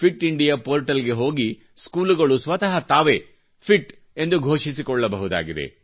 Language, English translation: Kannada, The Schools can declare themselves as Fit by visiting the Fit India portal